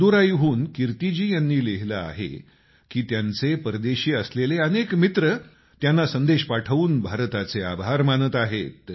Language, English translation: Marathi, Kirti ji writes from Madurai that many of her foreign friends are messaging her thanking India